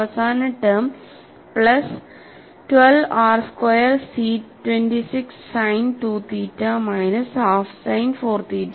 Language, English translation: Malayalam, And the last term is plus 12 r square C 26 sin 2 theta minus half sin 4 theta